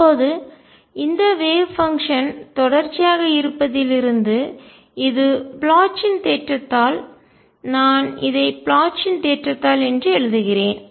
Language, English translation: Tamil, Now, since the wave function is continuous this is by Bloch's theorem, let me write that this is by Bloch's theorem